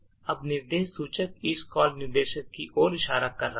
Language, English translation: Hindi, The instruction pointer now is pointing to this call instruction